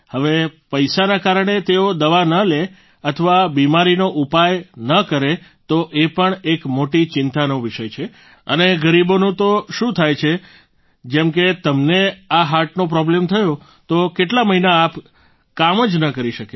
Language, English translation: Gujarati, Now, because of money they do not take medicine or do not seek the remedy of the disease then it is also a matter of great concern, and what happens to the poor as you've had this heart problem, for many months you would not have been able to work